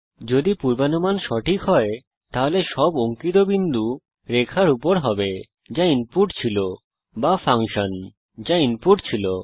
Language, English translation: Bengali, If the prediction is correct all the points traced will fall on the line that was input or the function that was input